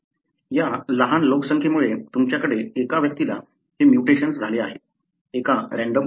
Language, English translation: Marathi, Because of this small population you have one individual had this mutation, because of a random process